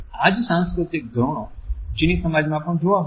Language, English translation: Gujarati, The same cultural norms are witnessed in the Chinese societies also